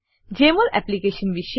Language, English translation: Gujarati, About Jmol Application